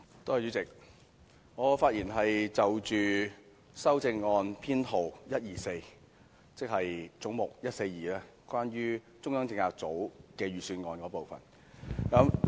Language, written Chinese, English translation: Cantonese, 主席，我會就修正案編號 124， 即總目 142， 關於中央政策組的全年預算運作開支發言。, Chairman I will speak on Amendment No . 124 relating to head 142 on the estimated annual operating expenditure of the Central Policy Unit CPU